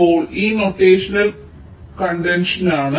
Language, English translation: Malayalam, this is the notational contention, right